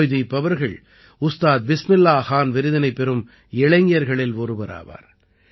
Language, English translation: Tamil, Joydeep ji is among the youth honored with the Ustad Bismillah Khan Award